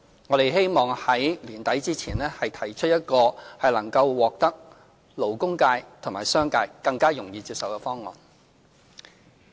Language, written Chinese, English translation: Cantonese, 我們希望在年底前提出一個能獲得勞工界及商界更容易接受的方案。, We hope to come up with a proposal better acceptable to the labour and business sectors by the end of this year